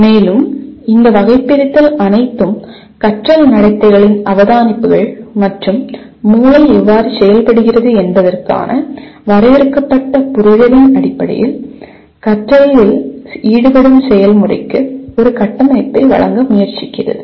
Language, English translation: Tamil, And all these taxonomies attempts to give a structure to the process involved in learning based on observations of learning behaviors and the limited understanding of how the brain functions